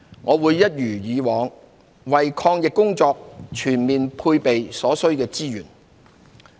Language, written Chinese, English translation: Cantonese, 我會一如以往，為抗疫工作全面配備所需的資源。, I will as always provide the resources required to fully support the anti - epidemic work